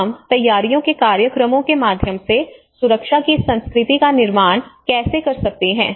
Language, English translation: Hindi, So how we can build this culture of safety through the preparedness programs